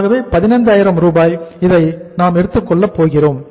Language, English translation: Tamil, So we are going to take it as 15,000